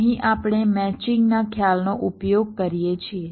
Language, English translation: Gujarati, ah, here we use the concept of a matching